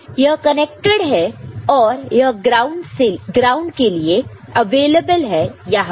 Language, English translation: Hindi, So, this is connected to the available to the ground is available over here ok